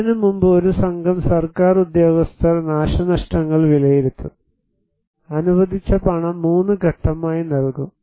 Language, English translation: Malayalam, Before that, there will be a damage assessment carried out by a team of government, and the allocated money will be given in 3 phases